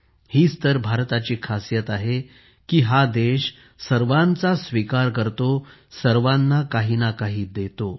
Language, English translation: Marathi, This is the specialty of India that she accepts everyone, gives something or the other to everyone